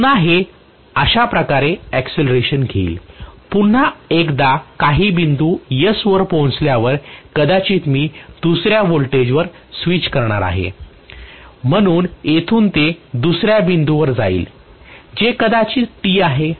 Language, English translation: Marathi, Again this will get accelerated like this, right, may be once it reaches again some point S I am going to switch to another voltage, so from here, it will go to another point, which is probably T